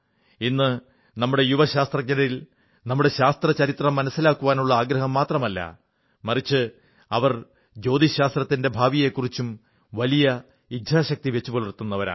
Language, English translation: Malayalam, Today, our young scientists not only display a great desire to know their scientific history, but also are resolute in fashioning astronomy's future